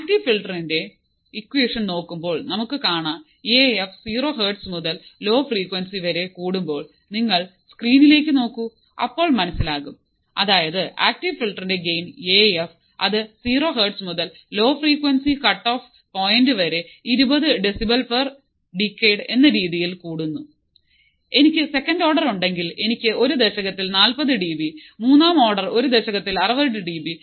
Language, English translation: Malayalam, So, then from the active filter equation, we have found that as Af increases from 0 hertz to low frequency cutoff point, if you see the screen, then you will understand better that active filter has a gain Af that increases from 0 hertz to low frequency cutoff point fc at 20 decibels per decade